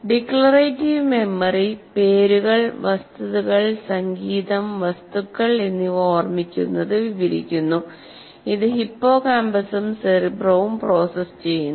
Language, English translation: Malayalam, Declarative memory describes the remembering of names, facts, music, and objects, and is processed by hippocampus and cerebrum